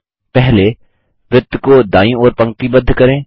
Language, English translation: Hindi, First let us align the circle to the Right